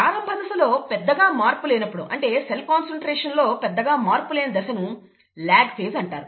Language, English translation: Telugu, The period during which, the initial period during which there is no change, not much of a change in cell concentration is called the ‘lag phase’